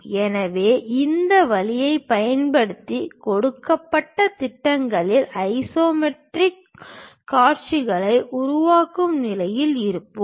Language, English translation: Tamil, So, using this way we will be in a position to construct isometric views of given projections